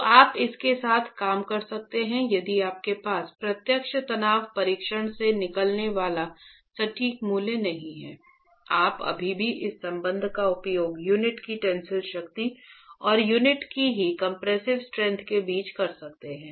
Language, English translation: Hindi, So you could work with, if you don't have the exact value coming out of a direct tension test, you could still use this relationship between the tensile strength of the unit and the compressive strength of the unit itself